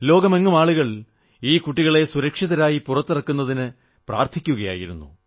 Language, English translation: Malayalam, The world over, people prayed for the safe & secure exit of these children